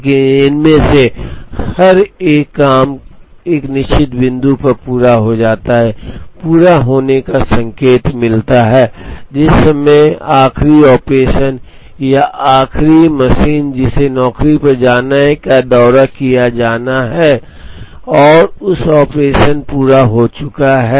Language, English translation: Hindi, But, each and every one of these jobs gets completed at a certain point, the completion indicates, the time at which the last operation or the last the machine that the job has to visit last has been visited and the operation has been completed on that machine